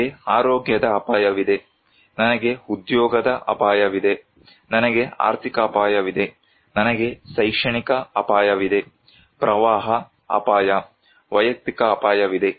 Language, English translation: Kannada, I have health risk, I have job risk, I have financial risk, I have academic risk, flood risk, personal risk